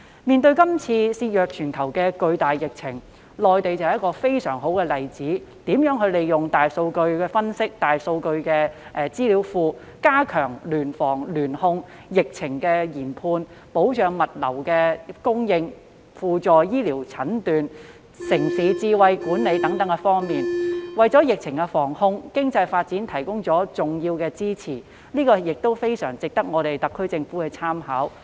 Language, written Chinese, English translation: Cantonese, 面對這次肆虐全球的巨大疫情，內地是非常好的例子，示範如何善用大數據分析和大數據資料庫，加強聯防聯控、疫情研判、保障物資供應、輔助醫療診斷和城市智慧管理等方面，為疫情防控及經濟發展提供了重要的支持，非常值得特區政府參考。, In the face of this major epidemic that has raged throughout the world the Mainland has set a very good example by illustrating how to make good use of big data analytics and its databases for big data for enhancing joint prevention and control epidemic assessment the stable supply of materials auxiliary medical diagnosis and smart urban management . All this has provided important support for the prevention and control of the epidemic and economic development and merits the SAR Governments reference